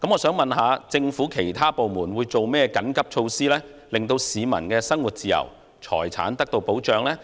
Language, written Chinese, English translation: Cantonese, 請問政府其他部門有何緊急措施，令市民的生活自由和財產得到保障？, May I ask what emergency measures will be introduced by other government departments so as to protect peoples freedom of living and property?